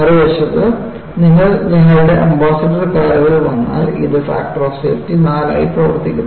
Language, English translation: Malayalam, On the other hand, if you come to our Ambassador cars, this was operating with the factor of safety of 4